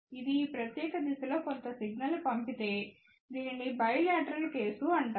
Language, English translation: Telugu, If it does send some signal in this particular direction, it is known as bilateral case